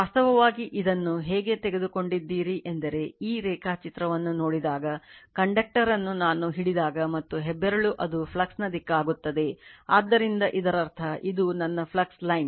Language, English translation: Kannada, Actually, you how you have taken it that if you come to this your what you call this diagram, so if you look into that I could grabs the conductor and thumb will be direction of the flux right, so that means, flux line is suppose, this is my flux line, this is my flux